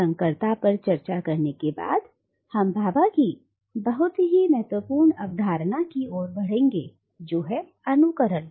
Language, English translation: Hindi, And after we discuss hybridity, we will then move on to another very important concept in Bhabha which is mimicry